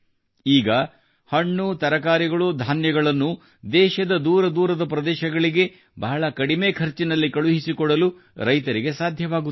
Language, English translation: Kannada, Now the farmers are able to send fruits, vegetables, grains to other remote parts of the country at a very low cost